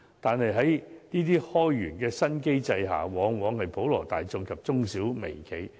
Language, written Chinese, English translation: Cantonese, 可是，在這些開源的新機制下，普羅大眾及中小微企往往是首當其衝。, However it is often the general public SMEs and mirco - enterprises which take the brunt of the Governments moves to create new sources of income